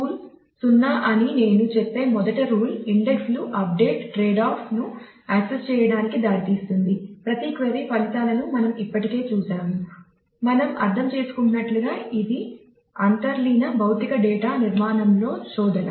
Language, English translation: Telugu, So, the first rule I say rule 0 is the indexes lead to access update tradeoff we have already seen this at every query results in a search in the underlying physical data structure as we have understood